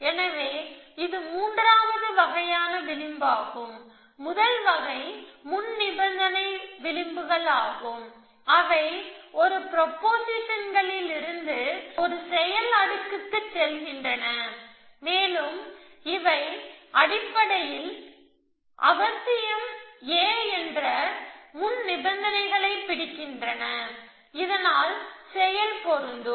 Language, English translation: Tamil, So, that is a third kind of edge, so first kind is precondition edges which go from a propositions to an action layer and they basically capture the preconditions that A is necessary, thus action to be applicable